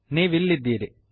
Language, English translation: Kannada, There you are